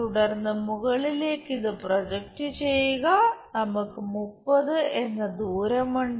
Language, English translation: Malayalam, Then project this one on to top one 30 distance we will have